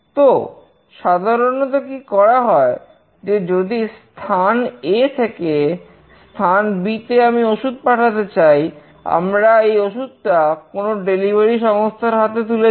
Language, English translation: Bengali, So, what is generally done, if you want to send a medicine from place A to place B, we hand over the medicine to some delivery agent